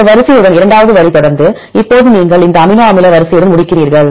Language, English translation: Tamil, Then the second line followed with this sequence, now you end with this amino acid sequence